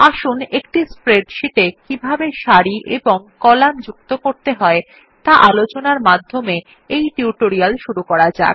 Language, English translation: Bengali, So let us start our tutorial by learning how to insert rows and columns in a spreadsheet